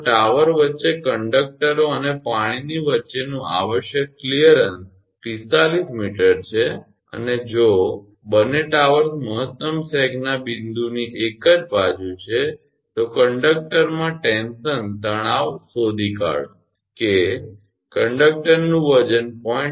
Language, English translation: Gujarati, If the required clearance between the conductors and the water midway between the tower is 45 meter and if both the towers are on the same side of the point of maximum sag, find the tension in the conductor the weight of the conductor is given 0